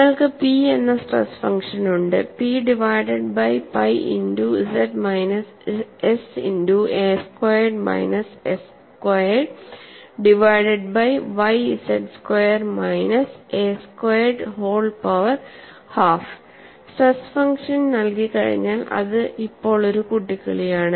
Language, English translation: Malayalam, And you have the stress function given as P divided by pi into z minus s multiplied by a squared minus s squared divided by z squared minus a squared whole power half